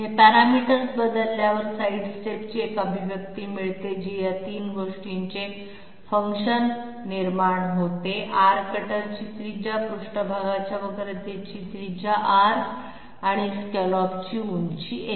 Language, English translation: Marathi, One replace this, we get a get an expression of sidestep which comes out to be a function of these 3 things; small r radius of the cutter, radius of curvature of the surface and scallop height